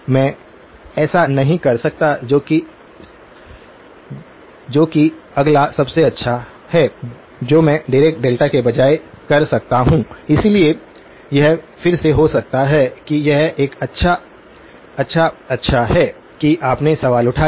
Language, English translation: Hindi, I cannot do that so, what is the next best that I can do instead of a Dirac delta, so this is again maybe it is a good, good, good that you raised the question